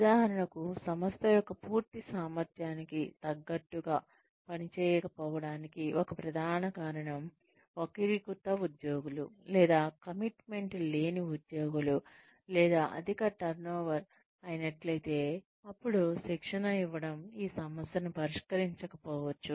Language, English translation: Telugu, If, for example, if a major reason for the organization, not performing up to its full potential, is deviant employees, or uncommitted employees, or employees, who are, or maybe a high turnover, then training may not solve the problem